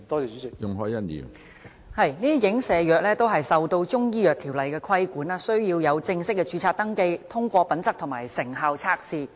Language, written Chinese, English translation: Cantonese, 這些影射藥物都受到《中醫藥條例》的規管，需要正式註冊登記、通過品質和成效測試。, These alluded drugs are subject to the Chinese Medicine Ordinance . They are required to obtain formal registration and pass quality and efficacy tests